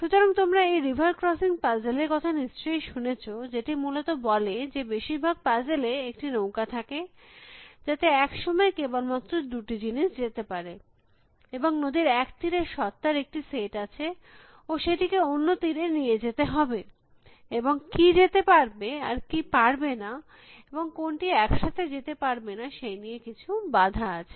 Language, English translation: Bengali, So, you must have heard about this river crossing puzzles, which basically says that, in most puzzles there is a boat, in which only two things can go it one time, and there is a whole set of entities on one side of the river, and they have to be transport to the other side of the river, and there are some constrains about what can to go together and what cannot go together